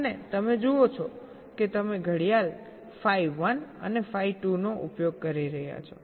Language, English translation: Gujarati, and you see you are using a clock, phi one and phi two